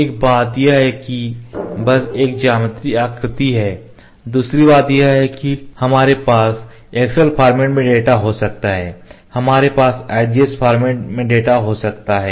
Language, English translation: Hindi, One thing is that just have a geometrical shape, another thing is we can have the data in excel format, we can have data in IGS format